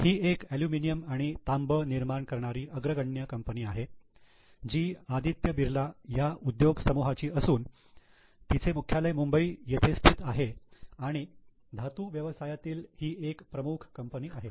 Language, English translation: Marathi, This is the leading aluminum and copper manufacturer belonging to Aditya Birla Group, headquartered at Mumbai and it is a flagship company in the metal business